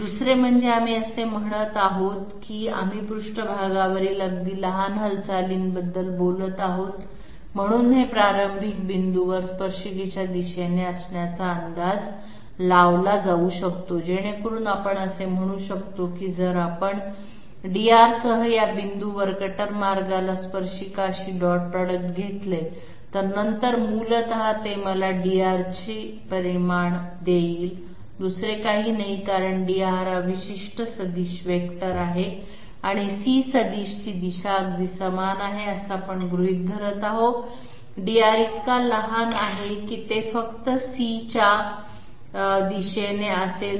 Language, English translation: Marathi, Second is, we are saying that since we are talking about very small movements on the surface therefore this can well be approximated to lie in the direction of the tangent at the starting point so that we can say that if we take the dot product with the tangent to the cutter path at this point with dR, then essentially it is going to give me the magnitude of dR nothing else because dR is particular vector and the C vector we are assuming to be having absolutely the same direction, dR is so small that it will be it will be in the direction of C only